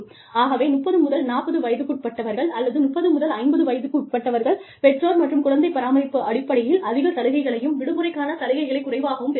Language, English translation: Tamil, So, you will say, people between the age of, say, 30 to 40, or, 30 to 50, will get more benefits, in terms of, parent and child care, and less benefits, in terms of vacation